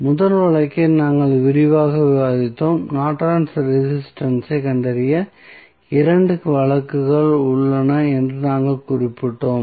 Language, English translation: Tamil, Now, in the last class, we discussed 2 cases rather we discuss first case in detail and we mentioned that there are 2 cases are available there for finding out the Norton's resistance